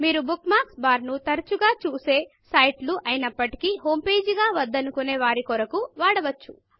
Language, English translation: Telugu, You can use the bookmarks bar for sites which you visit often, but dont want to have as your homepage